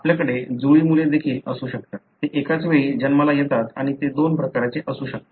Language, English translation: Marathi, You could also have individuals that are twins, they are born at the same time and they could be of two types